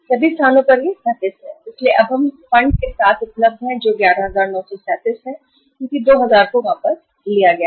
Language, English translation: Hindi, So now we are available with the fund that is 11,937 because 2000 are withdrawn